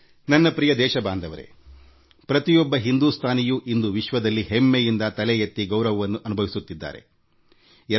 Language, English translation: Kannada, My dear countrymen, every Indian today, is proud and holds his head high